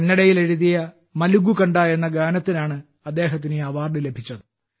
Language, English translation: Malayalam, He received this award for his lullaby 'Malagu Kanda' written in Kannada